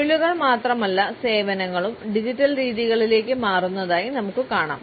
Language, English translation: Malayalam, And we find that not only the professions, but services also are shifting to digital modalities